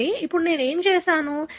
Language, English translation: Telugu, So, now what I have done